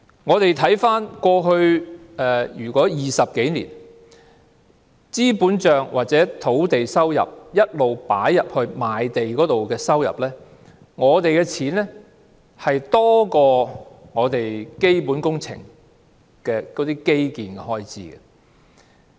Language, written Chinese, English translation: Cantonese, 回顧過去20多年的資本帳或土地收入，從賣地所得收入撥入該帳目的數目，一直多於基本工程的基建開支。, Looking at the capital account or revenue from land sales in the past 20 - odd years we see that the amount of revenue from land sales credited to the account has all along exceeded the infrastructural expenditure on capital works